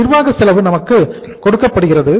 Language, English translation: Tamil, Administrative cost is given to us